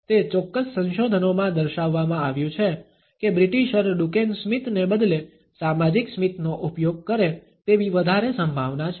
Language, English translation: Gujarati, It is pointed out in certain researches that the British are more likely to use the social smile instead of the Duchenne smile